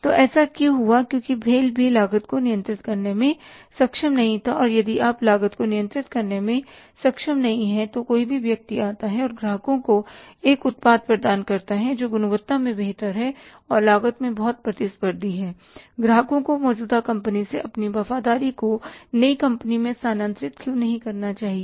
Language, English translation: Hindi, So, why it has happened because BHL also was not able to control the cost and if you are not able to control the cost and somebody else comes up and offers the customers a product which is better in the quality and say very competitive in the cost, why shouldn't the customer say shift their loyalties from the existing companies to the new company